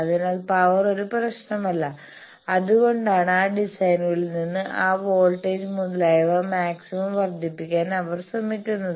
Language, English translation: Malayalam, So, power is not a problem that is why they try to maximize those voltage etcetera from those designs